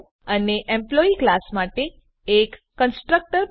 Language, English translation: Gujarati, And Create a constructor for the class Employee